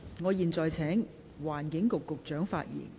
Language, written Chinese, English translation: Cantonese, 我現在請環境局局長發言。, I now call upon the Secretary for the Environment to speak